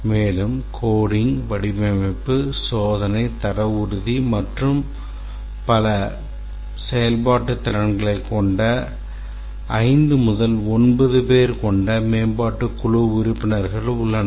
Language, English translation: Tamil, And then there are the development team members which are 5 to 9 people with cross functional skills like coding, design, testing, quality assurance and so on